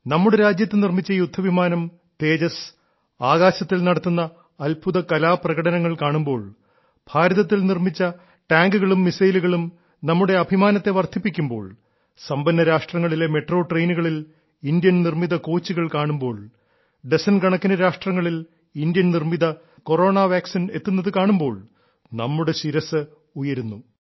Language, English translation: Malayalam, When we see fighter plane Tejas made in our own country doing acrobatics in the sky, when Made in India tanks, Made in India missiles increase our pride, when we see Made in India coaches in Metro trains in wealthyadvanced nations, when we see Made in India Corona Vaccines reaching dozens of countries, then our heads rise higher